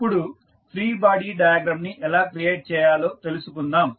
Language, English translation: Telugu, Now, let us see how we can create the free body diagram